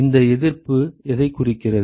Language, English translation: Tamil, What is this resistance signify